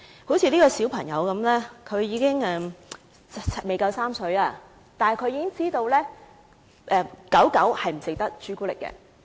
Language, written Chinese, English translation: Cantonese, 例如，這個小朋友不足3歲，但他已經知道小狗不可以吃巧克力。, For example this child is less than three years old yet he already knows that the puppies cannot eat chocolate